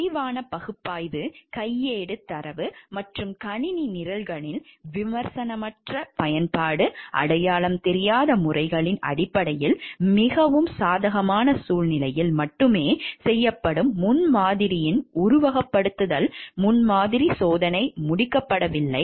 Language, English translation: Tamil, Detailed analysis, uncritical use of handbook data and computer programs, based on unidentified methodologies, simulation prototyping testing of prototype done only under most favorable conditions are not completed